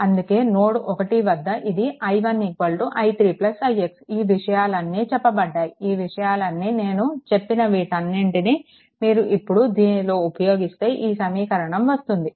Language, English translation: Telugu, That is why at node 1, it is i 1 is equal to i 3 plus i x; all this things have been told all this things have been told now you put it here now you put it here, right